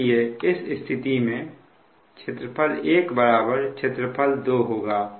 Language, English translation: Hindi, so in that case it will be: area one is equal to area two